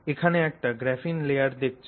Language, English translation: Bengali, So, what you see here is a typical graphene layer